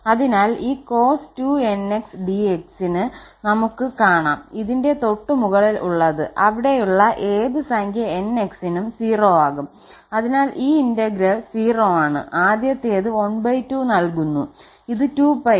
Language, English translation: Malayalam, So, this cos 2nx dx we have just seen above that this is going to be 0 with any number nx there, so this integral is 0, whereas the first one gives half and this is 2 pi